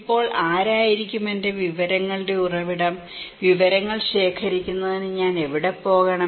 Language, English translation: Malayalam, Now, who will be my source of information, where should I go for collecting informations